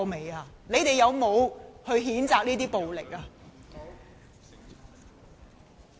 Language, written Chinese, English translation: Cantonese, 他們有否譴責這些暴力呢？, Did they condemn such violence?